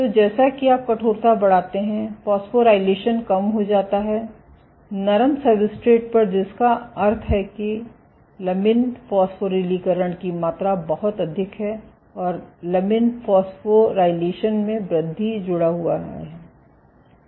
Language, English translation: Hindi, So, as you increase stiffness phosphorylation decreases, on soft substrate which means that amount of lamin phosphorylation is lot high and increase in lamin phosphorylation is associated